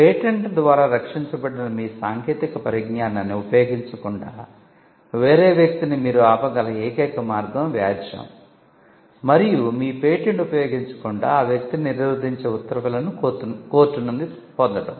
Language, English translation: Telugu, The only way you can stop a person from using your technology which is protected by patents is to litigate and to get an order from the court restraining that person from using your patent